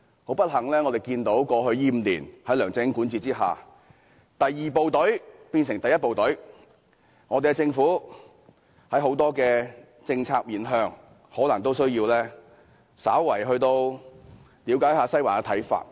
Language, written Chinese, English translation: Cantonese, 很不幸，過去5年，在梁振英管治下，第二部隊變成了第一部隊，政府在眾多政策上可能需要稍為了解一下"西環"的看法。, Unfortunately under LEUNG Chun - yings governance over the past five years the second team has become the first team and the Government may have to find out more about the views of Western District on a number of policies